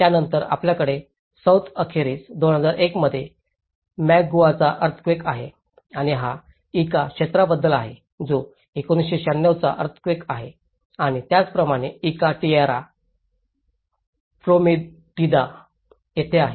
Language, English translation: Marathi, Then, you have the Moquegua earthquake in 2001, down south and whereas, this is about the Ica area, which is 1996 earthquake and as well as in Ica Tierra Prometida, which is the relocation